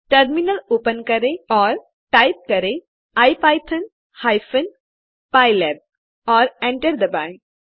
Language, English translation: Hindi, Open the terminal and type ipython pylab and hit enter